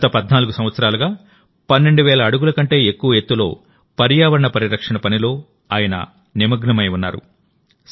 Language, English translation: Telugu, For the last 14 years, he is engaged in the work of environmental protection at an altitude of more than 12,000 feet